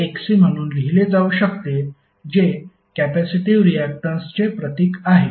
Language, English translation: Marathi, So what will write this this will simply write as Xc which is symbolized as capacitive reactance